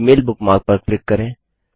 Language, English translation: Hindi, Click on the Gmail bookmark